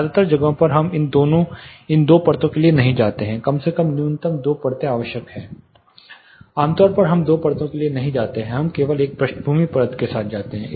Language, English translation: Hindi, In most places we do not go for these two layers at least minimum two layers are essential, typically we do not go for two layers we are simply going with one background layer